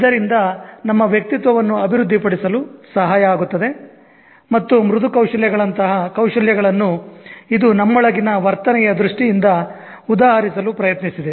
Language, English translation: Kannada, So that helps us in developing our personality and skills such as soft skills which are actually appearing to be something that is trying to exemplify in terms of behavior what we have inside us